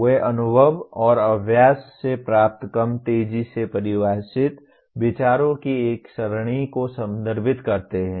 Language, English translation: Hindi, They refer to an array of less sharply defined considerations derived from experience and practice